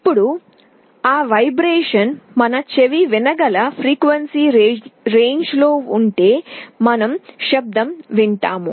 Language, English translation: Telugu, Now, if that vibration is in a frequency range that our ear can hear we will be hearing a sound